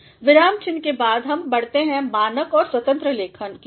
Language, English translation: Hindi, After punctuation now we move to the standard and free writing